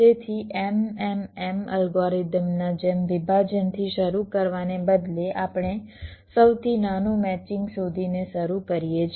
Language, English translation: Gujarati, so instead of starting with a partitioning like the m m m algorithm, we start by finding out the smallest matching